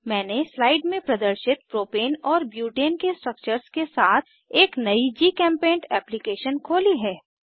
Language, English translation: Hindi, I have opened a new GChemPaint application with Propane and Butane structures as shown in the slide